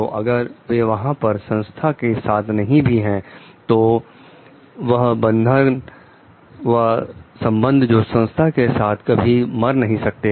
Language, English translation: Hindi, So, that even if they are not there with the organization the bond the relationship with the organization never dies out